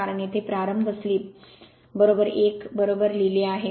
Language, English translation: Marathi, Because a start slip is equal to 1 here it is written right